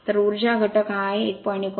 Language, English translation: Marathi, So, power factor is this 1